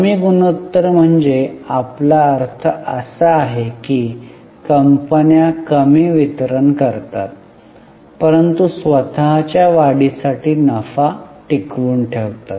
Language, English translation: Marathi, A lower ratio will mean that company is distributing less but retaining the profit for own growth